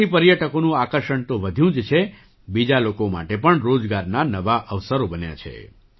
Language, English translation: Gujarati, This has not only increased the attraction of tourists; it has also created new employment opportunities for other people